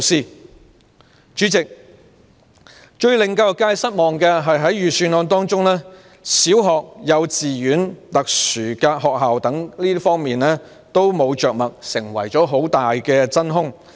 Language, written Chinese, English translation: Cantonese, 代理主席，最令教育界失望的是，預算案沒有就小學、幼稚園、特殊學校等着墨，成為很大的真空。, Deputy President what is most disappointing to the education sector is that the Budget has mentioned very little about primary schools kindergartens and special schools thus creating a vast vacuum